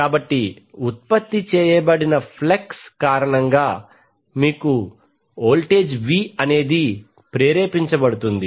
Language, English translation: Telugu, So because of that flux generated you will have the voltage V induced